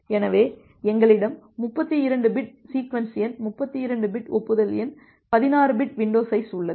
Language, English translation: Tamil, So, we have 32 bit sequence number 32 bit acknowledgement number, 16 bit window size